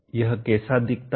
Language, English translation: Hindi, How does it look like